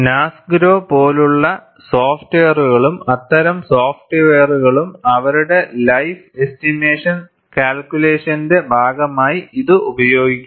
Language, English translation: Malayalam, People have embedded that, and the softwares like Nasgro and such softwares, use this as part of their life estimation calculation